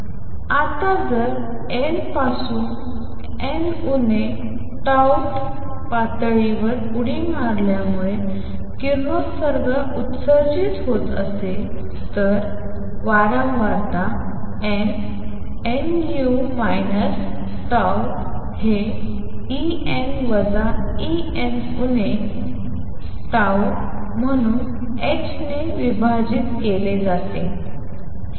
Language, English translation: Marathi, Now if a radiation is emitted due to jump from nth to n minus tau th level the frequency nu n, n minus tau is given as E n minus E n minus tau divided by h